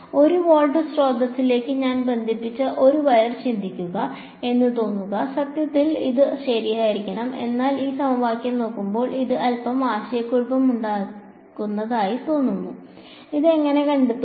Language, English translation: Malayalam, It seems like, I mean think of a wire I connected to a 1 volt source, in principle that should be alright, but looking at this equation it seems a little confusing, how will we find this